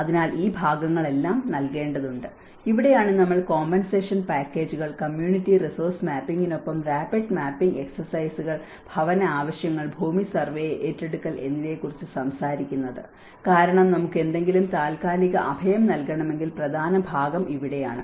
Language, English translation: Malayalam, So, all this part has to be given and this is where we talk about compensation packages, rapid mapping exercises with community resource mapping, housing needs, land survey and acquisition because the main important part is here that if we want to provide any temporary shelter, where do you provide, where is the space, which is a safe place and how to negotiate it